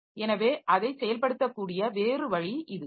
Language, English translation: Tamil, So, that is the other way in which they can execute